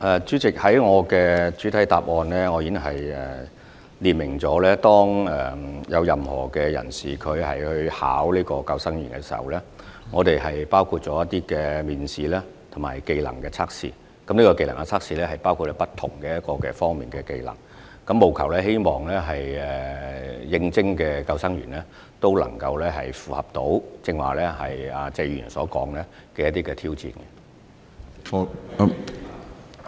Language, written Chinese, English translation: Cantonese, 主席，我在主體答覆中已經列明，任何人士投考救生員時，須通過當局的面試及技能測試，而技能測試包括不同方面的技能，務求應徵的救生員可以應付謝議員剛才提到的挑戰。, President I have stated clearly in my main reply that anyone applying for the posts of lifeguard must pass selection interviews and trade tests . The skill tests cover various skills which aim to ensure that applicants for the posts of lifeguard can cope with the challenges mentioned by Mr TSE just now